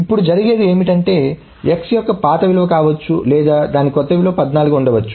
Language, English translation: Telugu, Now what may happen is that x may have been the old value or it may have the new value 14